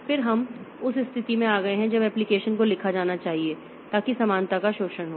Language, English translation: Hindi, Then we have got in that case the application must be written so that the parallelism is exploited